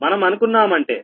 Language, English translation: Telugu, what we are doing